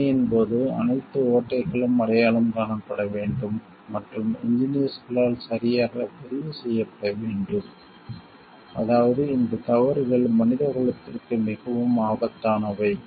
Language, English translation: Tamil, All loopholes while testing should be identified and, properly recorded by the engineers such that these mistakes are not repeated as can be very deadly for the mankind